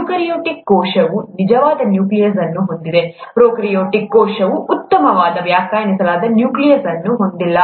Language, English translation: Kannada, Eukaryotic cell has a true nucleus, a prokaryotic cell does not have a well defined nucleus